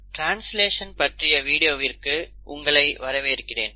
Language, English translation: Tamil, So, welcome back to the video on translation